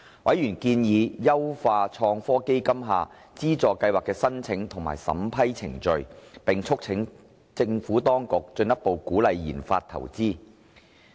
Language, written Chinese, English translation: Cantonese, 委員建議優化創科基金下資助計劃的申請及審批程序，並促請當局進一步鼓勵研發投資。, Members suggested authorities to improve the application and vetting procedures of the various funding programmes under ITF and urged them to further encourage investment in research and development